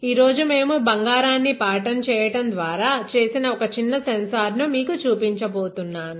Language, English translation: Telugu, Today, I am going to show you one small sensor that we have made by patterning that same gold ok